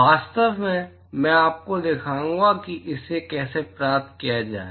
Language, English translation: Hindi, In fact, I will show you how to derive this